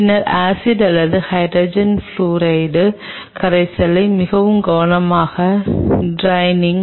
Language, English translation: Tamil, Then drain the acid or the hydrogen fluoride solution very carefully very carefully